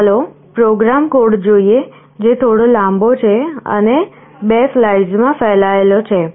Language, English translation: Gujarati, Let us look at the program code, which is a little long and spans over 2 slides